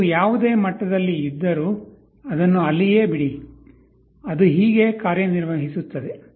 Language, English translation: Kannada, Whatever level was there you leave it, this is how it works